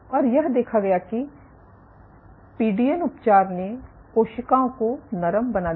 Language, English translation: Hindi, What was observed was PDN treatment made cells softer